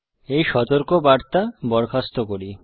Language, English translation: Bengali, Let us dismiss this warning